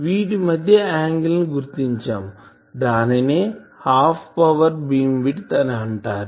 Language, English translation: Telugu, So, these angle between them that is called Half Power Beamwidth